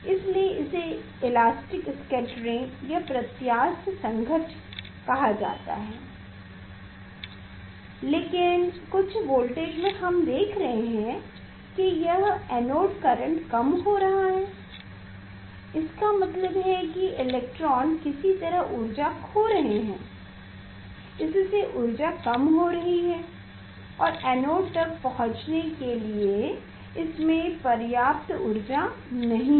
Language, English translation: Hindi, that is why it is called elastic scattering, but at certain voltage we are seeing that this anode current is decreasing means electrons is losing energy somehow it is losing energy and it has no sufficient energy to reach to the anode